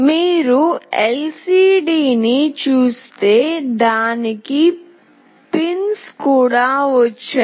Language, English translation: Telugu, If you see the LCD, it has got these pins